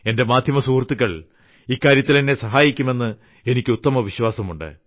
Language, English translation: Malayalam, I believe that media friends will definitely cooperate in this regard